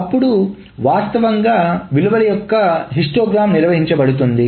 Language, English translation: Telugu, Then generally the histogram of values is being maintained